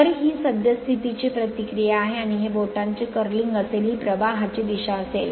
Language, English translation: Marathi, So, this is the reaction of the current and this will be the finger your curling this will be the direction of the flux right